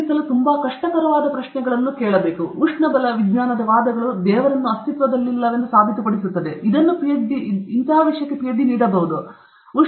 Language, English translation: Kannada, problem using thermodynamic arguments, using thermodynamic arguments prove that God does not exist can that be given as a Ph